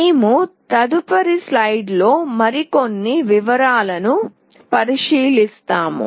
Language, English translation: Telugu, We will be looking into more details in next slide